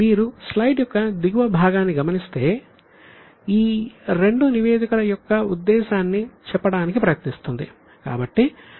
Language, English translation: Telugu, If you look at the bottom part of the slide, it is sort of trying to tell the purpose of these two statements